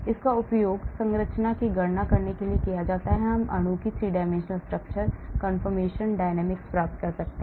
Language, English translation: Hindi, It is used to calculate structure, we can get the 3 dimensional structure of the molecule, conformations, dynamics